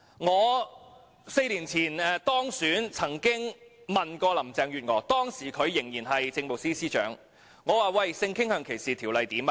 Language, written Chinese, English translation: Cantonese, 我4年前當選議員時曾詢問時任政務司司長林鄭月娥：性傾向歧視條例如何了？, Four years ago when I was elected a Member I asked the then Chief Secretary for Administration Carrie LAM what would happen with the sexual orientation discrimination ordinance